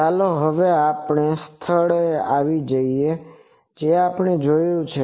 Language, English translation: Gujarati, Now, let us come to the point that we have seen